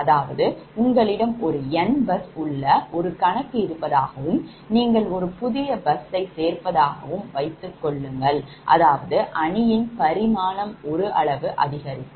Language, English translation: Tamil, that means, suppose you have a, you have n bus problem and you are adding a new bus, means that z matrix will dimension will increase by one